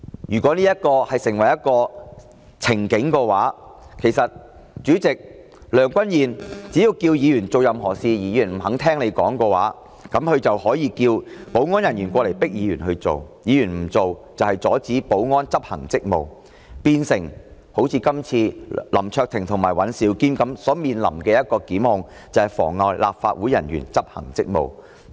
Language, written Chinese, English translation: Cantonese, 如果這成為一個先例的話，只要梁君彥主席要求議員做任何事而議員不肯聽從的話，他就可以請保安人員迫使議員行事；議員若不聽從，就是阻止保安執行職務，會如林卓廷議員及尹兆堅議員般，面臨"妨礙立法會人員執行職務"的檢控。, If this sets a precedent President Mr Andrew LEUNG will send security officers upon Members who disobeys his requests to enforce them; and those who disobey would be deemed obstructing security officers in carrying out their duties and will face prosecution for obstructing public officers in carrying out enforcement action just like Mr LAM Cheuk - ting and Mr Andrew WAN